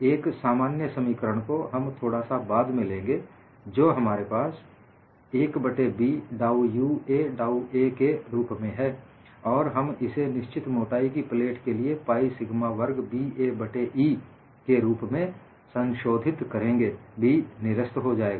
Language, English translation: Hindi, We would see a little while later, a generic expression; in that we would have this as 1 by b dou U a divided by dou a, and for a finite thickness plate, this will be modified to pi sigma squared b a divided by E